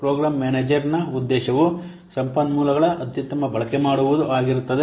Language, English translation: Kannada, The objective of program manager is to optimize to optimal use of the resources